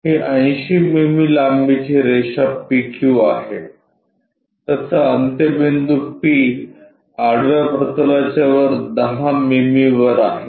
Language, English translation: Marathi, It is a 80 mm long PQ line, it is end P is 10 mm above horizontal plane